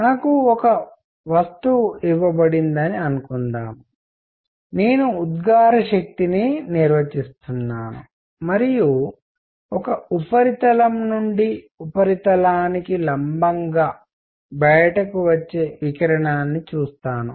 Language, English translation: Telugu, Suppose I am given a body, I am defining emissive power and from a surface I look at the radiation coming out perpendicular to the surface